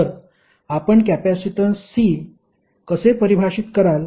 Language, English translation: Marathi, So, how you will define capacitance C